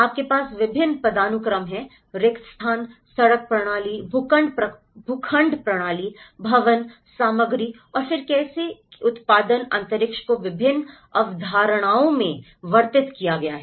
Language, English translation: Hindi, You have the various hierarchy of spaces, street system, plot system, buildings, materials and then how the production of space has been described in various concepts